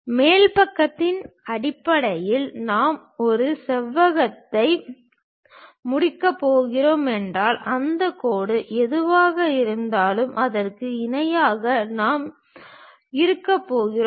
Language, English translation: Tamil, On the top side is basically, if I am going to complete a rectangle whatever that line we are going to have parallel to that